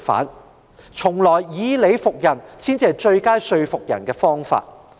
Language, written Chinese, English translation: Cantonese, 一直以來，以理服人才是說服別人的最佳方法。, Convincing people by reasoning has always been the best approach